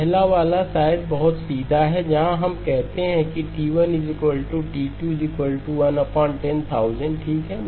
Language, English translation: Hindi, The first one is probably a very straightforward one where we say that T1 equal to T2 equal to 1 by 10,000 okay